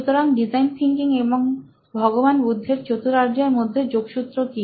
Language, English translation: Bengali, So, what is the connection between design thinking and the four noble truths of Buddha